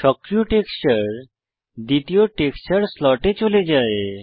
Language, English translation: Bengali, The active texture moves back to the first slot